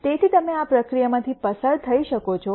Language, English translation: Gujarati, So, you could go through this process